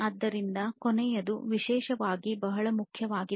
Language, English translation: Kannada, So, the last one particularly is very important